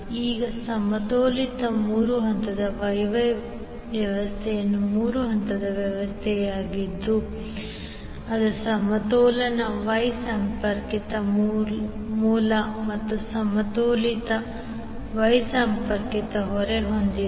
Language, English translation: Kannada, Now a balanced three phase Y Y system is a three phase system with a balance Y connected source and a balanced Y connected load